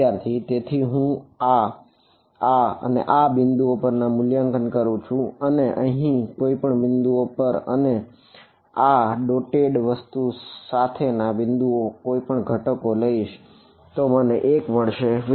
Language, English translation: Gujarati, So, I am evaluating at this, this, this, this points and any point over here right and any point along this dotted things who are take the component I get 1